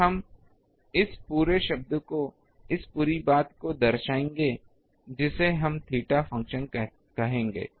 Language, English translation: Hindi, So, we will be denoting this all this term this whole thing this we will be calling a function of theta